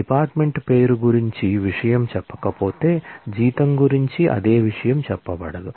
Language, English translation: Telugu, if the same thing is not said about department name same thing is not said about salary